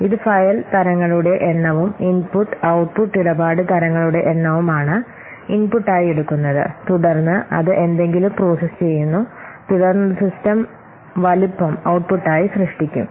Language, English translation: Malayalam, It takes the number of file types and the number of input and output transaction types as input and then it processes something and then it will produce the system size as the output